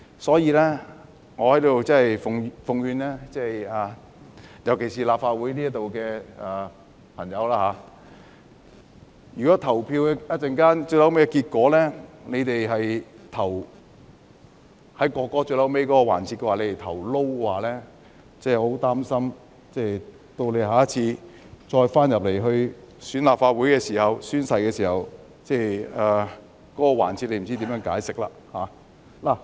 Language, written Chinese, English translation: Cantonese, 所以，我在此奉勸立法會的朋友，如果稍後他們在《條例草案》進行表決時投下 "No" 的話，我很擔心他們下次如果當選後回到立法會宣誓時，不知道他們會如何解釋。, So let me tender an advice to Members of the Legislative Council here . If they will say No to the Bill in the vote to be taken later on I would be very concerned about how they would explain it when taking the oath should they be re - elected to the Legislative Council in the next election